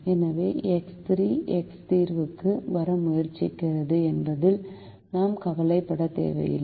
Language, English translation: Tamil, therefore, we need not be worried about the fact that x three is trying to come into the solution